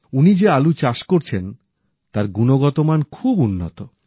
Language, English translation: Bengali, He is growing potatoes that are of very high quality